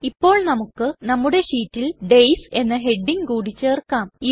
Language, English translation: Malayalam, Now lets insert a new heading named Days in our sheet